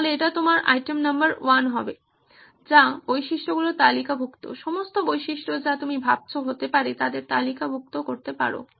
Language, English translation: Bengali, So that will be your item number 1 which is listing of features, all the features that you can think of just list them